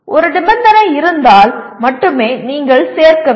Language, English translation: Tamil, If there is a condition then only, then you need to include